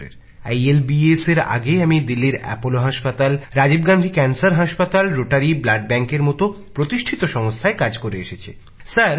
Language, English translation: Bengali, Even before ILBS, I have worked in prestigious institutions like Apollo Hospital, Rajiv Gandhi Cancer Hospital, Rotary Blood Bank, Delhi